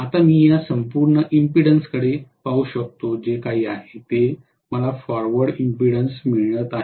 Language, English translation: Marathi, Now I can look at this entire impedance whatever I am getting here as the forward side impedance